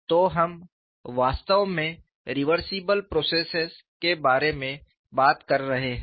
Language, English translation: Hindi, So, we are really talking about reversible processors